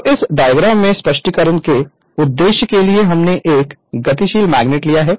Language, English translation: Hindi, So, there in this diagram in this diagram for the purpose of explanation we have taken a moving magnet